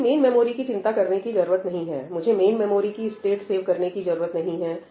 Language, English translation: Hindi, Main memory I do not need to bother, I do not need to save state of main memory